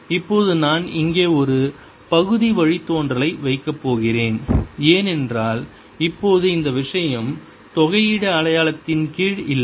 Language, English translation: Tamil, now i am going to put a partial derivative here, because now is this thing is not under the integral sign anymore